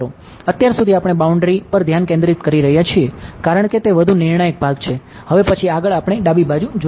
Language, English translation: Gujarati, So, far we have been concentrating on the boundary because that is the more sort of critical crucial part next we will look at the left hand side